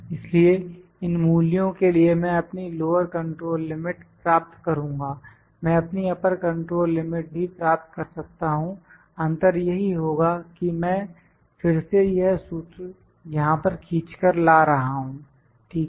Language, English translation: Hindi, So, I will get my lower control limit for these values, I can even find my upper control limit the only difference I am just dragging this formula here again, ok